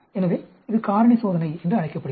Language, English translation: Tamil, So, this is called the factorial experiment